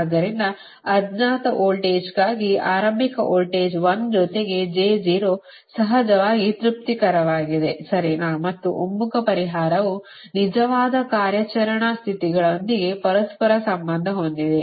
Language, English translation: Kannada, so an initial starting voltage, one plus j, zero for unknown voltage, is satisfactory, of course, right, and the converged solution correlates with the actual operating states